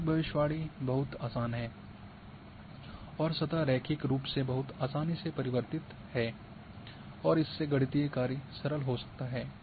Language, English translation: Hindi, So, a linear prediction is much easier and surface changes in a linear fashion and can be simple mathematical function